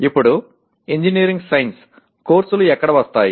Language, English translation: Telugu, Now where do the engineering science courses come to